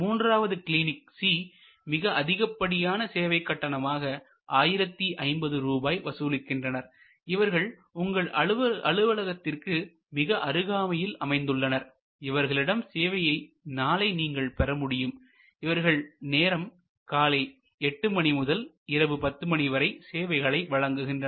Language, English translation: Tamil, And there is a Clinic C, which charges the highest which is 1050 and it is just located quite close by and the next available appointment is, you have an appointment just the next day and there hours are 8 am to 10 pm